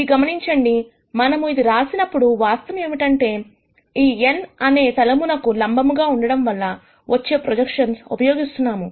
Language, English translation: Telugu, Notice that while we write this, the fact that we are using a projection comes from this n being perpendicular to the plane